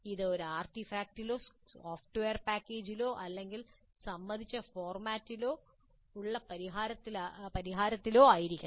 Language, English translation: Malayalam, It must result in an artifact or in a software package or in a solution in agreed upon format